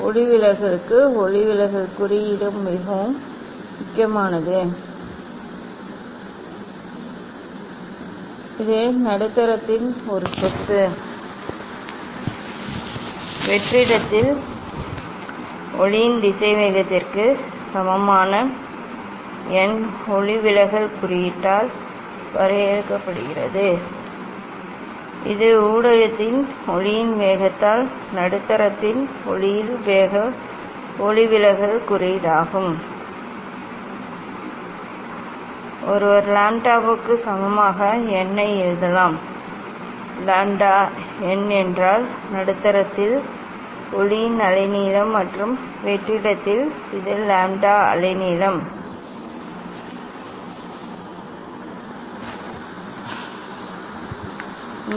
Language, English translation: Tamil, then refractive index is very important for refraction, this is a property of the medium and defined by n refractive index equal to velocity of light in vacuum divide by velocity of light in the medium that is the refractive index of the medium, one can write n equal to lambda by lambda n; lambda n means wavelength of the light in the medium and this lambda wavelength of light in the vacuum this relation has come C velocity equal to frequency into wavelength